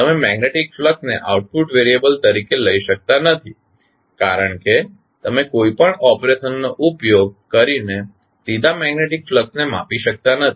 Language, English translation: Gujarati, You can not take the magnetic flux as a output variable because you cannot measure the magnetic flux directly using any operation